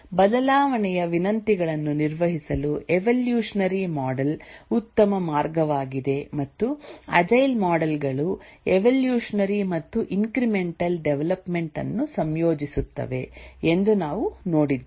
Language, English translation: Kannada, We had seen that the evolutionary model is a good way to handle change requests and the agile models do incorporate evolutionary development, evolutionary and incremental development